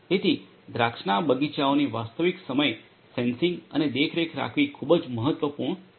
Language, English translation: Gujarati, So, it is very important to have real time sensing and monitoring of the vineyards